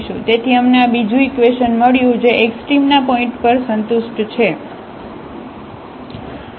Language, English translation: Gujarati, So, we got this another equation which is satisfied at the point of a extrema